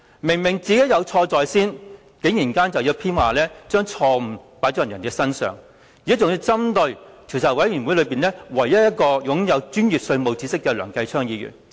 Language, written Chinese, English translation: Cantonese, 明明是自己有錯在先，卻偏要把錯誤加諸別人身上，還要針對專責委員會內唯一一位擁有專業稅務知識的梁繼昌議員。, Obviously he had made a mistake in the first place but he put the blame on others and targeted at Mr Kenneth LEUNG the only person in the Select Committee who possesses professional knowledge in taxation